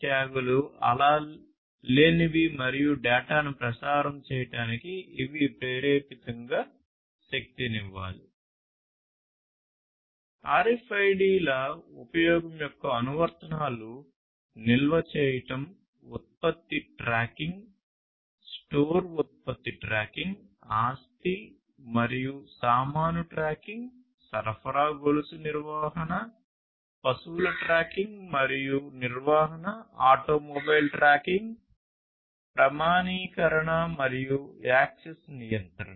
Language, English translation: Telugu, Applications of use of RFIDs are for storing product tracking, store product tracking, sorry, store product tracking, asset and baggage tracking, supply chain management, livestock tracking and management, auto mobile tracking authentication and access control, and so on